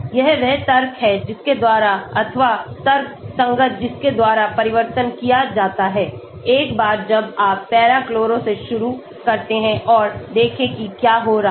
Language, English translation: Hindi, this is the logic by which or the rational by which changes are made once you start with the para chloro and see what is happening